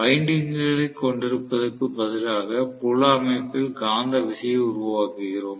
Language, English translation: Tamil, Instead of having windings, create the magnetism in the field system